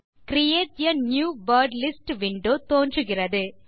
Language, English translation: Tamil, The Create a New Wordlist window appears